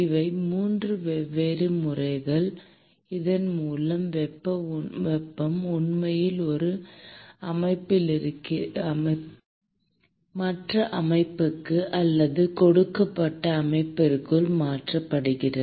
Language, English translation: Tamil, These are the 3 different modes by which heat is actually transferred from one system to the other system or within a given system